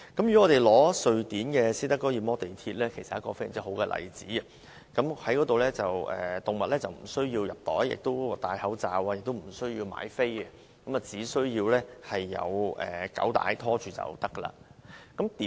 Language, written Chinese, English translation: Cantonese, 以瑞典斯德哥爾摩的地鐵為例，這是非常好的例子，動物無須藏在袋內，也無須戴口罩，更不需要買票，只要主人有狗帶牽着便可。, The Stockholm Metro is very good example . Animals are allowed to travel on the trains of the Stockholm Metro as long as they are leashed . They are not required to be kept in a bag wear muzzles or pay the fare